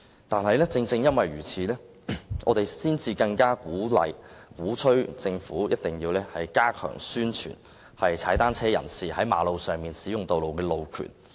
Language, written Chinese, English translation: Cantonese, 但是，正因如此，我們才更要敦促政府一定要加強宣傳踏單車人士在道路上使用單車的路權。, However this is precisely the reason why we need to urge the Government to step up publicity about the right of way of cyclists